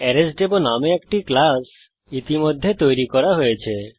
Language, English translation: Bengali, A class named ArraysDemo has already been created